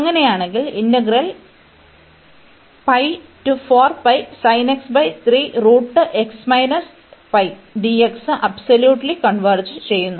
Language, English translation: Malayalam, So, absolute convergence implies the convergence of the integral